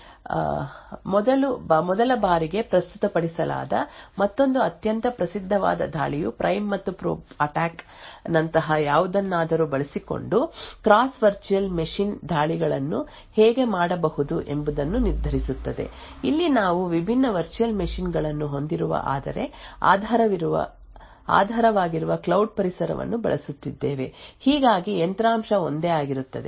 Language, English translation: Kannada, Another very famous attack which was first presented in this particular paper by Ristenpart in 2009, determines how cross virtual machine attacks can be done using something like the prime and probe attack, here we are using a cloud environment which have different virtual machines but the underlying hardware is the same